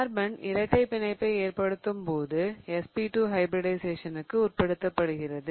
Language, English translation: Tamil, When carbon is forming a double bond, much more likely what it is undergoing is SP2 hybridization